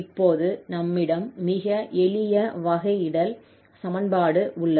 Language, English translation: Tamil, So we have a very simple differential equation now